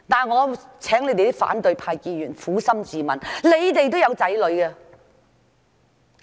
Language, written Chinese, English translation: Cantonese, 我請反對派議員撫心自問，你們也有子女。, I would like opposition Members who also have children to ask themselves and answer honestly